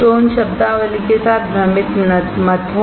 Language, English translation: Hindi, So, do not get confused with those terminologies